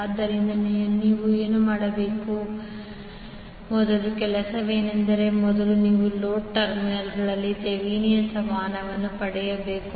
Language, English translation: Kannada, So first task what we have to do is that first you need to obtain the Thevenin equivalent at the load terminals